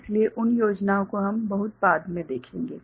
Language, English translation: Hindi, So, those schemes we shall see little later